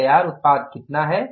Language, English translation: Hindi, So, how much is the finished product